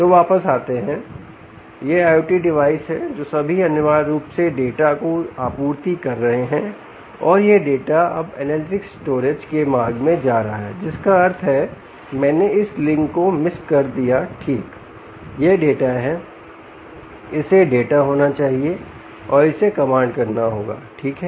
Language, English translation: Hindi, so coming back, so these are the i o t devices, all of them, which essentially are supplying data and this data is now going in the route of to the analytics storage, which means i miss this link right, this is data, it has to be data and this has to be command, this has to be command, right, so command in this direction